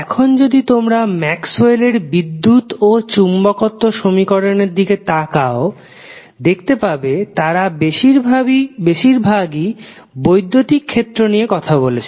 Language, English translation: Bengali, Now, the if you see the electricity and magnetism equations of Maxwell they are mostly talking about the electric field